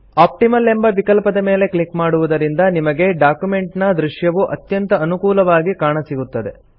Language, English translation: Kannada, On clicking the Optimaloption you get the most favorable view of the document